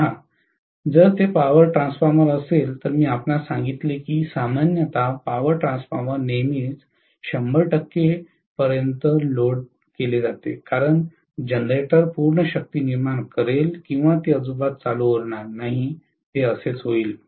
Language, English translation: Marathi, See, if it is a power transformer I told you that power transformer normally is loaded to 100 percent all the time because the generator will generate full power or it will not be commissioned at all, that is how it will be